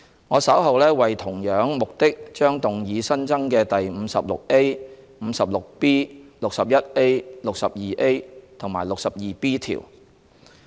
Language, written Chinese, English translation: Cantonese, 我稍後為同樣目的將動議新增的第 56A、56B、61A、62A 及 62B 條。, For the same purpose I will later move amendments to add new clauses 56A 56B 61A 62A and 62B